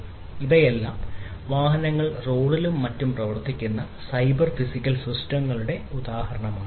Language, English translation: Malayalam, So, all these things are examples of cyber physical systems operating on the road on the vehicles and so on